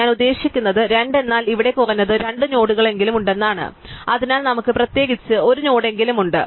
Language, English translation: Malayalam, I mean 2 means that there are at least 2 nodes here, so we have at least 1 node in particular